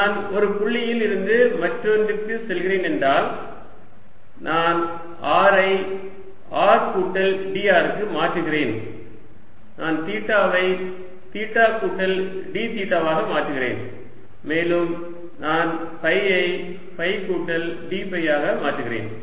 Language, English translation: Tamil, if i am going from one point to the other, i am changing r to r plus d r, i am changing theta to that plus d theta and i am changing phi to phi plus d phi, so d